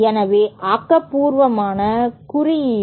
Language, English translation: Tamil, So, constructive interference